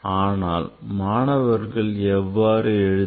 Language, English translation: Tamil, So why student write this